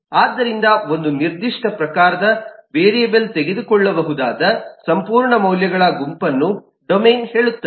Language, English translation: Kannada, so domain say the whole set of values that a variable of a certain type can take